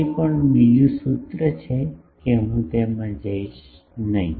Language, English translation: Gujarati, That is also another formula I would not go into that